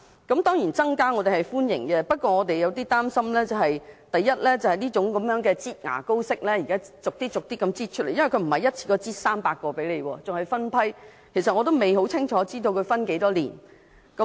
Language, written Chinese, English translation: Cantonese, 我們當然歡迎增加名額，但對這種"擠牙膏"式的做法有少許擔心，因為不是一次過增加300個名額，而是分批增加，仍未清楚知道需時多少年。, We certainly welcome the increase of places but are at the same time a bit worried about this squeezing toothpaste out of a tube approach . The additional 300 places are not provided in one go but in batches and we are unsure how many years it will take